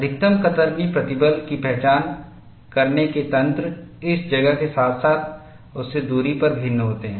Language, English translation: Hindi, The mechanisms, of identifying the maximum shear stress differs in this place, as well as, at distance away from it